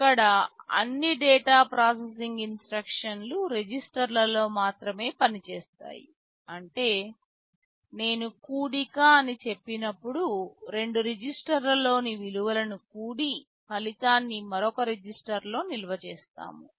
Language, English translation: Telugu, Here all data processing instructions operate only on registers; that means, when I say add we will be adding the contents of two registers and storing the result back into another register